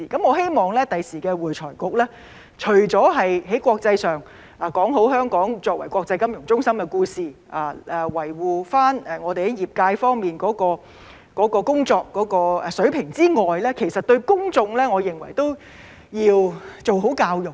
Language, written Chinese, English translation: Cantonese, 我希望未來的會財局除了在國際上說好香港作為國際金融中心的故事，維護業界的工作水平之外，我認為對公眾都要做好教育。, I hope that in addition to properly telling the story about Hong Kong as an international financial centre and upholding the work standard of the profession the future AFRC will also do a good job at educating the public